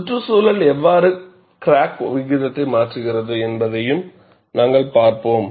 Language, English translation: Tamil, We would also see, how does the environment changes the crack growth rate